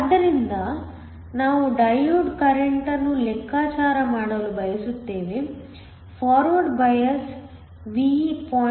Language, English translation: Kannada, So, we want to calculate the diode current, we want to calculate I when we have a forward bias V of 0